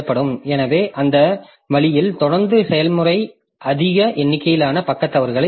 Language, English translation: Tamil, So that way continually the process will generate large number of page faults